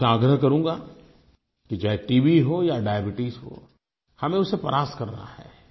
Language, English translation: Hindi, I would like to appeal to you all, whether it is TB or Diabetes, we have to conquer these